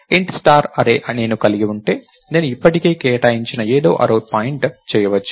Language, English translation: Telugu, So, int star array if I have that I could make array point to something that is already allocated